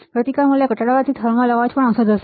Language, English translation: Gujarati, Lowering the resistance value will also reduce the thermal noise all right